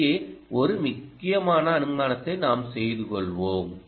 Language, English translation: Tamil, this is actually we made one important assumption here